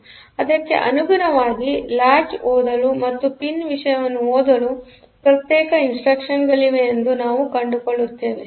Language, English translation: Kannada, So, accordingly we will find that there are separate instructions for reading latch and reading pin